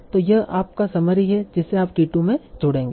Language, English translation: Hindi, So this is your summary you will add t 2